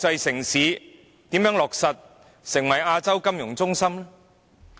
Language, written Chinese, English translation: Cantonese, 香港如何成為國際金融中心呢？, How can Hong Kong be regarded as an international financial centre?